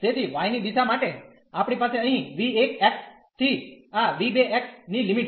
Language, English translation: Gujarati, So, for y direction we have the limits here v 1 x v 1 x to this v 2 x